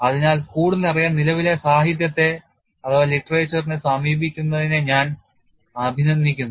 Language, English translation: Malayalam, So, I would appreciate that you consult the current literature to learn further